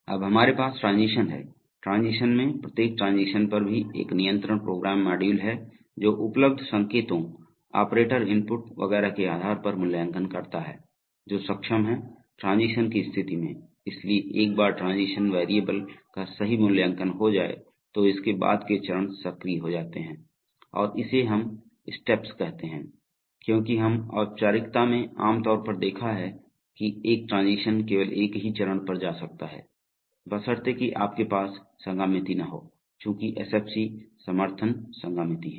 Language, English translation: Hindi, Now we have transitions, so in transition each transition is also a control program module which evaluates based on available signals, operator inputs etcetera, which transition conditions are getting enabled, so once the transition variable evaluated true, then the steps following it are activated and we say steps because we, in this formalism typically, we have seen that one transition can go to only one step provided you do not have concurrency but since SFC is support concurrency